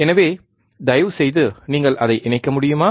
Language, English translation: Tamil, So, can you please connect it